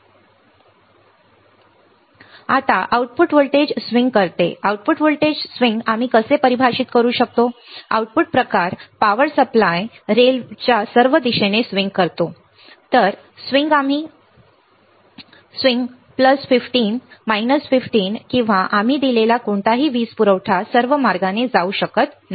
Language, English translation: Marathi, Now, output voltage swing the output voltage, output voltage swing how we can define, the output kind swing all the way to the power supply rails right, cannot go all the way to plus 5 plus 15 minus 15 or whatever power supply we have given